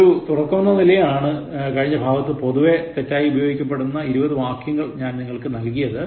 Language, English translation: Malayalam, Just to begin with, I gave you about 20 commonly misused words in everyday usage